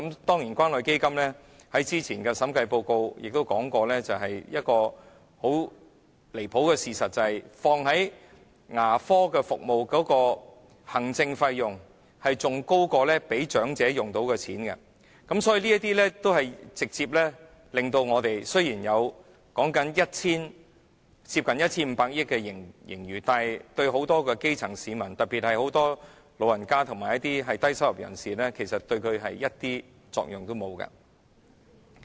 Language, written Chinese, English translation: Cantonese, 當然，關於關愛基金，早前的審計報告亦指出一個很離譜的事實，便是投放在牙科服務的行政費用比長者可以用到的錢更高，所以雖然說有接近 1,500 億元的盈餘，但對很多基層市民，特別是眾多長者和低收入人士而言，其實是完全沒有作用的。, Certainly concerning the Community Care Fund the Audit Report published earlier on points out an absurd fact that is the administrative costs incurred by dental service were even higher than the money that goes to the elderly people . Although it is said that the surplus stands at almost 150 billion to many grass - roots people in particular to the large number of elderly people and low - income earners this is actually completely meaningless